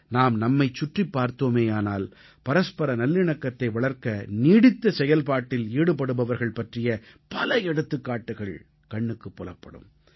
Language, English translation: Tamil, If we look around us, we will find many examples of individuals who have been working ceaselessly to foster communal harmony